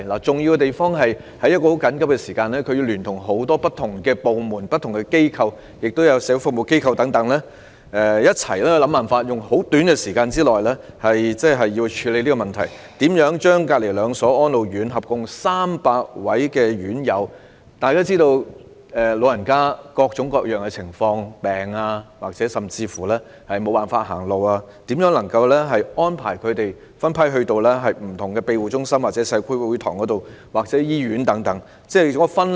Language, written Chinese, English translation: Cantonese, 重要之處，是他們須在十分緊迫的時間內聯同多個不同部門、機構和社會服務機構，共同想辦法在短時間內處理有關問題，將毗鄰的兩間安老院舍合共300名院友——大家皆知道，長者有各種各樣的情況，例如生病，甚至行動不便——分批安排到不同的庇護中心、社區會堂或醫院及分流。, One important point to note is that they must liaise with various departments organizations and social service associations within a very tight time frame and jointly conceive ways to tackle the relevant problems promptly . They must relocate the totally 300 inmates in batches from the two nearby RCHEs―as Members all know elderly people are under various conditions such as illness and even mobility difficulty―to various shelter homes community halls or hospitals where they would undergo the triage process